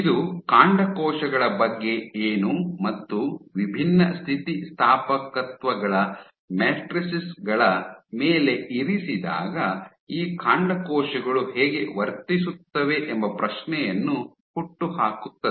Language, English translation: Kannada, What about stem cells how would these stem cells behave, when placed on matrices of different elasticities